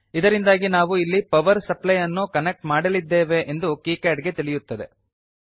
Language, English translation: Kannada, So then kicad will know that we are going to connect a power supply here